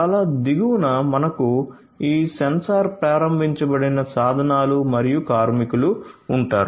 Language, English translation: Telugu, So, at the very bottom we will have this sensor enabled tools and workers